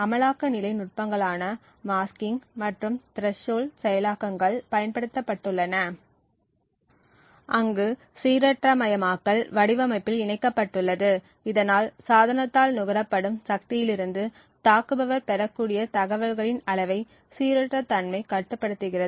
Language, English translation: Tamil, At the implementation level techniques such as masking and threshold implementations have been used where randomization has been incorporated into the design so that where the randomness limits the amount of information that the attacker can gain from the power consumed by the device